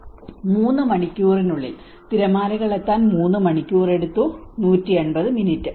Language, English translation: Malayalam, In 3 hours, it took the waves, for the waves to reach 3 hours